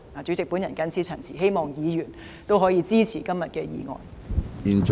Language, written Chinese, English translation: Cantonese, 主席，我謹此陳辭，希望議員支持今天的議案。, President I so submit and hope that Members will support my motion today